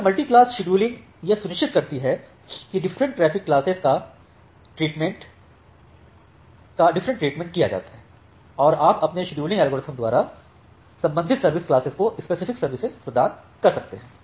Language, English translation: Hindi, So, this multi class scheduling ensures that different traffic classes are treated differently and you provide the specific services by your scheduling algorithm to the corresponding service class